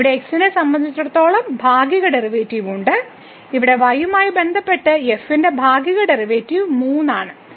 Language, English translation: Malayalam, So, we have the partial derivative with respect to as to partial derivative of with respect to here as 3